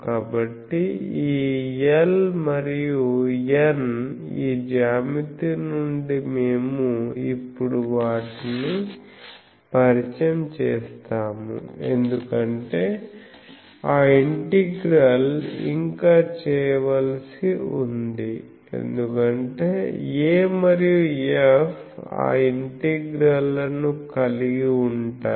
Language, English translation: Telugu, So, this L and N that from this geometry we have said, we will now introduce them because that integral still needs to be done because A and F contains those integrals